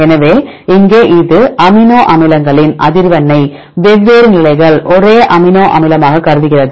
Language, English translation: Tamil, So, here this will consider the frequency of amino acids a same amino acid at the different positions